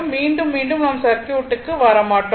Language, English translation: Tamil, Again and again I will not come to the circuit